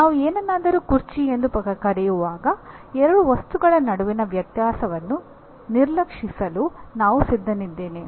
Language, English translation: Kannada, When I call something as a chair, I am willing to ignore the differences between two objects whom we are calling as chair, right